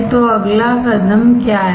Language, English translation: Hindi, So, what is the next step